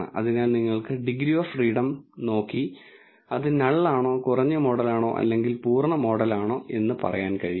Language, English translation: Malayalam, So, you can look at the degrees of freedom and tell whether it is a null, model that is a reduced model, or the full model